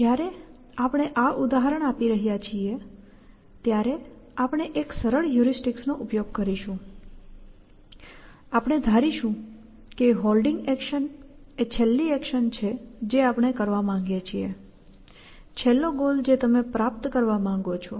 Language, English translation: Gujarati, While, we are doing this example, we will use a simple heuristic, we will assume that the holding action is the last action we want to do; last goal we want to achieve